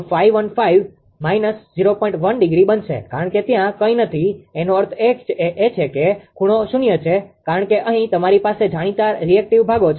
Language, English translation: Gujarati, 1 degree because there is nothing means it is angle is 0 because here you have known reactive parts